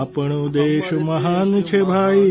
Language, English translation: Gujarati, Our country is great brother